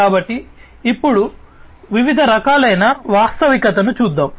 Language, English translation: Telugu, So, now let us look at the different types of augmented reality